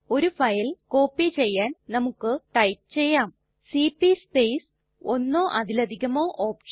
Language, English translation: Malayalam, To copy a single file we type cp space one or more of the [OPTION]..